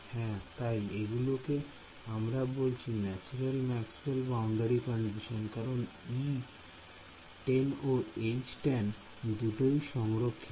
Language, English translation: Bengali, So, we are I am calling them natural Maxwell’s tangential boundary condition right/ Basically E tan is conserved, H tan is conserved